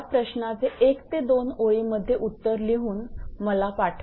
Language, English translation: Marathi, You will write 1 or 2 line answer and you will send it to me